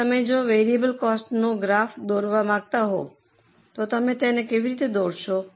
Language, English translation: Gujarati, Now, if you want to draw a variable cost graph, how will you draw it